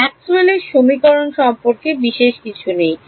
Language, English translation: Bengali, Nothing special about Maxwell’s equations right